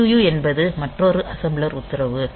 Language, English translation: Tamil, So, EQU is another assembler directive